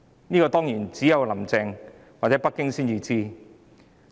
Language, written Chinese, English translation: Cantonese, 這當然只有"林鄭"或北京才知道。, Regarding this of course only Carrie LAM or Beijing knows the answer